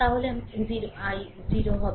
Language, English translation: Bengali, Then i will be 0